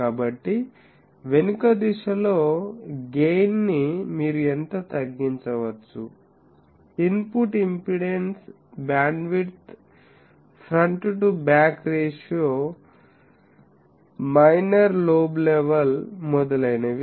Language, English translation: Telugu, So, gain in the backward direction also how much reduce you can get; input impedance, bandwidth, front to back ratio, minor lobe level etc